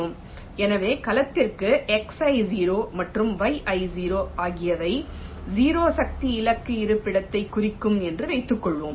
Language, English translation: Tamil, so, ah, for the cell i, lets assume that x, i zero and yi zero will represents the zero force target location